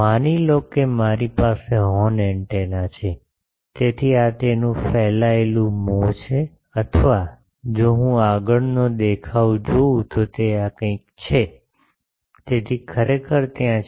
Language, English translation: Gujarati, Suppose I have a horn antenna, so this is its radiating mouth or if I see the front view it is something like this, so actually there are